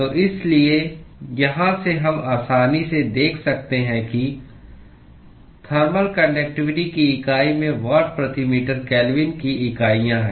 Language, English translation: Hindi, So, therefore, from here we can easily see that the unit of thermal conductivity has units of watt per meter Kelvin